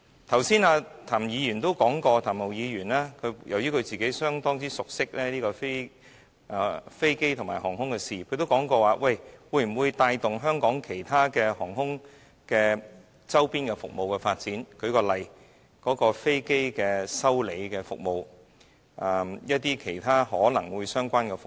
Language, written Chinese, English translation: Cantonese, 譚文豪議員剛才也表示，由於他個人相當熟悉飛機和航空的事宜，所以他質疑這樣是否能夠帶動香港航空的其他周邊服務的發展，例如飛機維修的服務和其他相關的服務。, Mr Jeremy TAM has also said that his rich knowledge of aircraft and aviation matters makes him sceptical of whether this initiative can boost the development of services related to aviation in Hong Kong such as aircraft maintenance and other related services